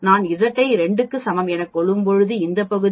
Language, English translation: Tamil, When Z is equal to 2 this area is 0